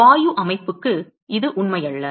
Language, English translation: Tamil, It is not true for gaseous system